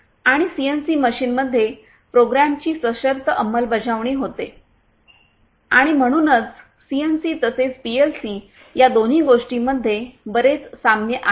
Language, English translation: Marathi, And in the CNC machine, it is the conditional you know execution of the program, and so both of these the CNC as well as PLCs have lot of similarities